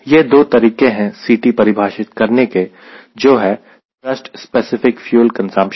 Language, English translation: Hindi, let us focus on c, that is, thrust specific fuel consumption